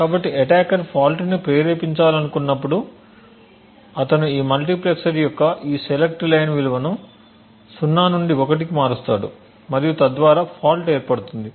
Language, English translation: Telugu, So whenever an attacker wants to induce a fault he would change the value of this select line for this multiplexer from 0 to 1 and thereby inducing a fault